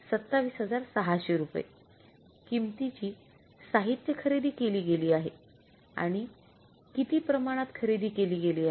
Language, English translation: Marathi, This is the $27,600 worth of the material has been purchased and how much is the quantity that has been purchased